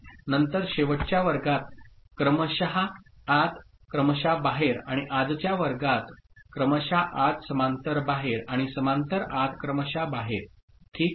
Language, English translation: Marathi, Then serial in serial out in last class and in today’s class serial in parallel out and parallel in serial out ok